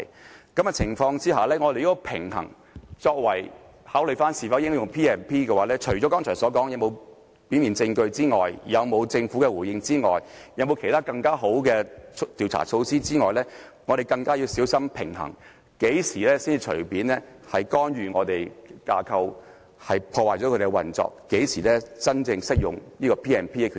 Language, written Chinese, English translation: Cantonese, 在這個情況下，如果平衡是作為應否考慮引用《條例》的因素的話，除剛才所說的有否表面證據、政府回應和其他更好的調查措施外，我們今次更要小心平衡，要知道何時會干預我們的架構，破壞其運作，何時才真正適合引用《條例》的權力。, Under the circumstances if balance is taken as a factor in considering whether the Ordinance should be invoked apart from considering whether there is any prima facie evidence response from the Government or other better investigative measure we need to be extra careful about this balance in the sense that we have to know when our structure will be intervened when its operation will be damaged and when the power of invoking the Ordinance should be appropriately exercised